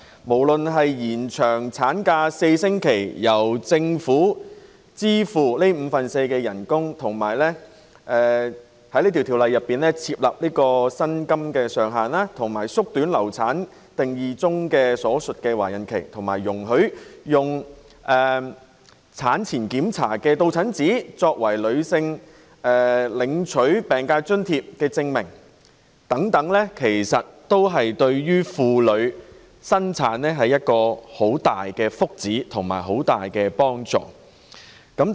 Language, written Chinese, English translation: Cantonese, 不論是延長產假4星期、由政府承擔五分之四的額外產假薪酬、在《條例草案》訂明額外產假薪酬上限、縮短"流產"定義中所述的懷孕期，以及容許以產前檢查的到診紙作為領取疾病津貼的證明等，對於懷孕婦女均是莫大福祉和幫助。, Whether speaking of the four - week extension of the maternity leave period the Governments commitment to bearing the additional maternity leave pay at fourth - fifths of the daily wages the Bills prescription of a ceiling for the additional maternity leave pay the shortening of the pregnancy period stated in the definition of miscarriage and the permission for using attendance certificates of prenatal check - ups as proof for claiming sickness allowance all such proposals are very beneficial and favourable to pregnant women